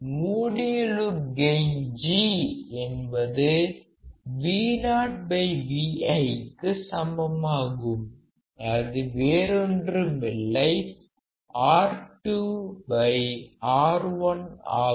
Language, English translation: Tamil, So, close loop gain G equals to Vo by Vi which is nothing, but minus R2 by R1